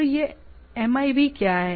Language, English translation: Hindi, So, what is this MIB